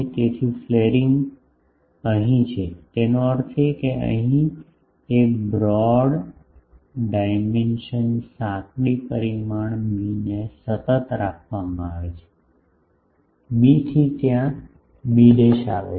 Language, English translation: Gujarati, So, flaring is here; that means, here a is kept constant the broad dimension the narrow dimension b, that from b it gets there to b dash ok